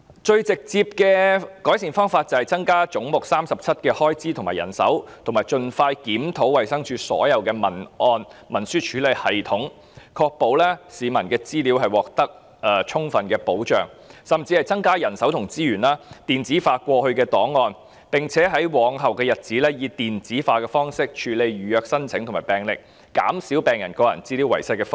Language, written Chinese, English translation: Cantonese, 最直接的改善方法便是增加總目37的開支和人手，以及盡快檢討衞生署所有檔案和文書處理系統，確保市民的資料獲得充分的保障，甚至應增加人手和資源，把過去的檔案電子化，並且在日後以電子化的方式處理預約申請和病歷，減少病人個人資料遺失的風險。, The most direct way to make improvement is to increase the expenditure and manpower for head 37 and expeditiously review all the filing and word processing systems of DH so as to ensure adequate protection of the public data . Manpower and resources should also be increased to digitize the past files and in future the making of appointments and medical records should be handled by electronic means in order to reduce the risks of losing patients personal data